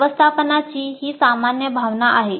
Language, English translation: Marathi, This is the general feeling of the management